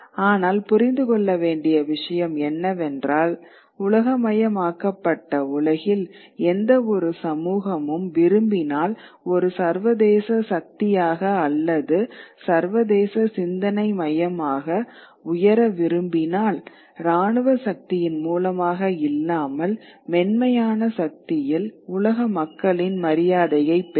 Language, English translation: Tamil, But the point to understand is that if any society wants to, in a globalized world, wants to rise as an international power or international center of thought, if I talk in terms of soft power, power may not only be described as military power, but in soft power, earn the respect of the people of the world